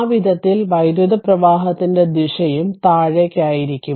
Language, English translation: Malayalam, In that way the and the direction of the current will be downwards